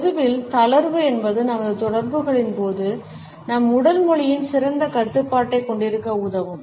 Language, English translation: Tamil, Relaxation in public would also enable us to have a better control on our body language during our interaction